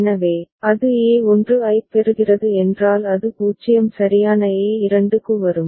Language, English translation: Tamil, So, if it is getting a1 it will be coming to a2 that is 0 right